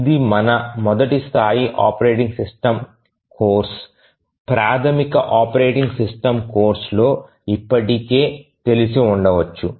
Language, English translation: Telugu, So, this you might have already become familiar in your first level operating system course, the basic operating system course